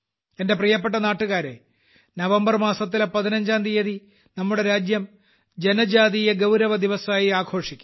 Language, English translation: Malayalam, My dear countrymen, on the 15th of November, our country will celebrate the Janjateeya Gaurav Diwas